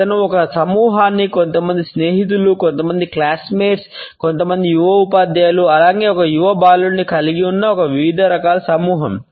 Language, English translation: Telugu, He gather together a group of people, a motley group which consisted of some friends, some classmates, some young teachers, as well as a young teenager boy